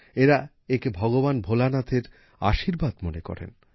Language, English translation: Bengali, They consider it as the blessings of Lord Bholenath